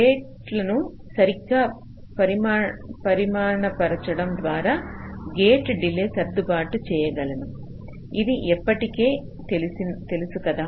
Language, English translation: Telugu, so by properly sizing the gates, i can adjust the gate delays